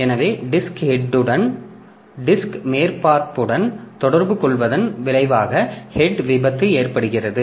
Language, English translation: Tamil, So, head crash results from disc head making contact with the disk surface